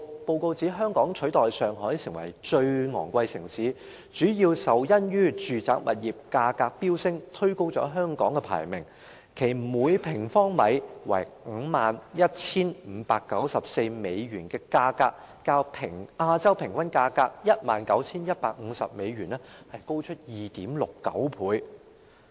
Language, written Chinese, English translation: Cantonese, 報告指出，香港取代上海成為最昂貴城市，主要因住宅物業價格飆升，推高了香港的排名，其每平方米 51,594 美元的價格，較亞洲平均價格 19,150 美元高出 2.69 倍。, According to the report Hong Kong replaces Shanghai as the most expensive city for the main reason that the soaring residential property prices have pushed up Hong Kongs ranking . The per - square - metre property price of US51,594 is 2.69 times higher than the average price of US19,150 in Asia